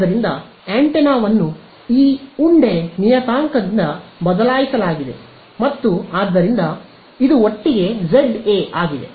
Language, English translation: Kannada, So, the antenna has been replaced by this lump parameter and so, this together is Za